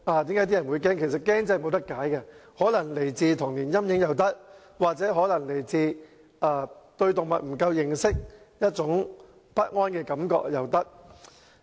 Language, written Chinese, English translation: Cantonese, 這種恐懼真的無法解釋，可能源自童年陰影，亦可能源自對動物認識不足而產生的不安感覺。, This fear is really inexplicable . It may stem from a childhood trauma or a sense of insecurity arising from an inadequate understanding of animals